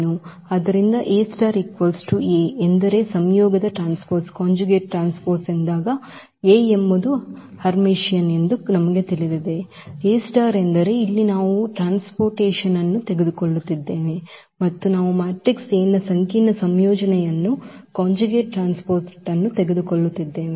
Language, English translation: Kannada, So, we know that A is Hermitian when A star is equal to A meaning the conjugate transpose, A star means here that we are taking the transport and also we are taking the complex conjugate of the matrix A